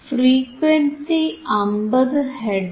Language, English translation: Malayalam, And frequency is frequency is 50 hertz frequency is 50 hertz